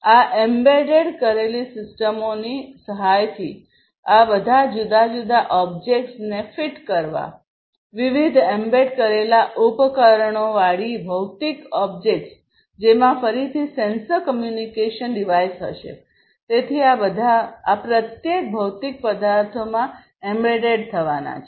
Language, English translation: Gujarati, By the help of these embedded systems, fitting all of these different objects, the physical objects with different embedded devices, which again will have sensors communication device, and so on; so all of these are going to be you know embedded into each of these physical objects